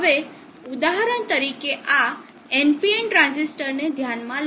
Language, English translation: Gujarati, Now consider for example this ND and transistor